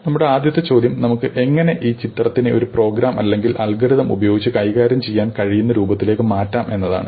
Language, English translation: Malayalam, So, our first question is how do we take this picture and put it into form that we can manipulate using a program or an algorithm